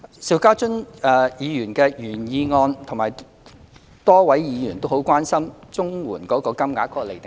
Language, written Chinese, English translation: Cantonese, 邵家臻議員的原議案及多位議員均關心綜援金額的釐定機制。, The original motion of Mr SHIU Ka - chun and a number of Members have expressed concern about the determination mechanism of CSSA rates